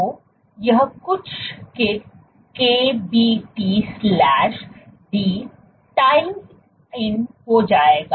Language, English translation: Hindi, So, this will turn out to be KBT/d